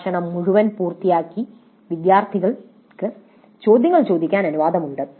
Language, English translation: Malayalam, So the entire lecture is completed and then the students are allowed to ask the questions